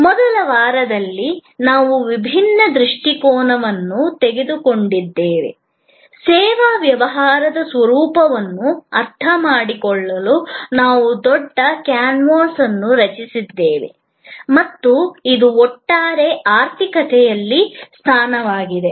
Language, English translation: Kannada, In the first week, we took a divergent view, we created the big canvas to understand the nature of the service business and it is position in the overall economy